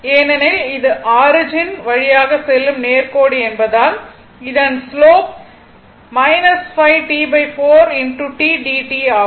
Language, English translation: Tamil, Because this is straight line passing through the origin this is a slope minus 5 T by 4 into t dt right